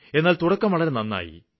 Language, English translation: Malayalam, But the start has been good